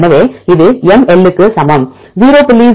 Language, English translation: Tamil, So, this is equal to mI equal to 0